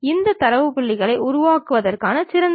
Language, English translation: Tamil, What is the best way of constructing these data points